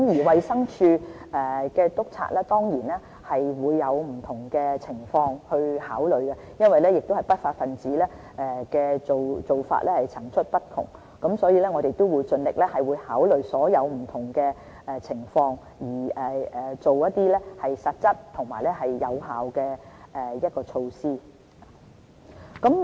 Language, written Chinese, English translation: Cantonese, 衞生署督察當然會考慮不同情況，但不法分子的手法層出不窮，所以，我們會盡力考慮所有不同情況，訂定實質而有效的措施。, Though inspectors of DH will enforce the law in the light of the actual situation the lawless people will always have new tricks . So we will try our best to allow for all scenarios and devise concrete and effective measures